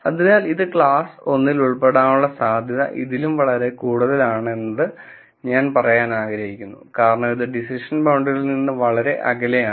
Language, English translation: Malayalam, So, I would like to say that the probability that this belongs to class 1 is much higher than this, because it is far away from the decision boundary